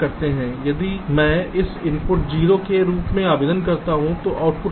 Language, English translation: Hindi, so if i apply a zero to this input, then what will be